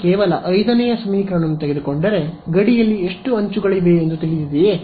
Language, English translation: Kannada, If I take only equation 5 I remember I have how many edges on the boundary